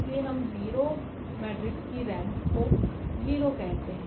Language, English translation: Hindi, So, this is what we call the rank of 0 matrix is 0